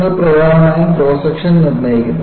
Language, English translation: Malayalam, And you essentially determine the cross section